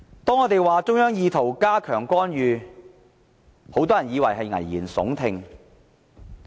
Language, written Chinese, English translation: Cantonese, 當我們指中央意圖加強干預時，很多人都以為是危言聳聽。, When we pointed out the arbitrary interference of the Central Authorities many people said that we were making alarmist remarks